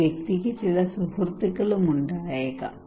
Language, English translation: Malayalam, This person he may have also some friend